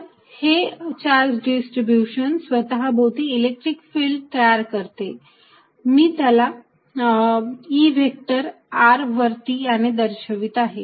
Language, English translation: Marathi, So, charge distributions creating an electric field around itself and I am going to denote it by E vector at r